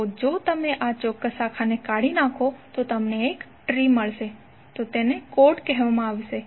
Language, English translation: Gujarati, So if you removed this particular branch then you get one tree so this is called chord